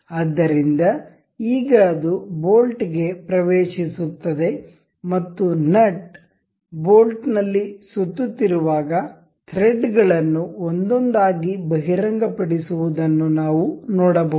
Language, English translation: Kannada, So, now, it enters the bolt and we can see this see the threads uncovering one by one as the nut revolves into the bolt